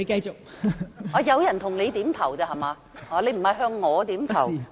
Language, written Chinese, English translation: Cantonese, 原來有人向你點頭，不是你向我點頭。, I now know that someone was nodding to you and you were not nodding to me